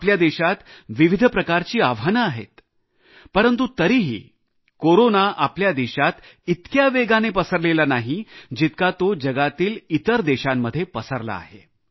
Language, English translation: Marathi, The challenges facing the country too are of a different kind, yet Corona did not spread as fast as it did in other countries of the world